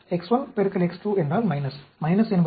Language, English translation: Tamil, So, X 1 and X 4